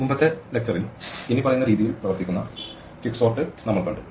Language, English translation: Malayalam, In the previous lecture, we saw quicksort which works as follows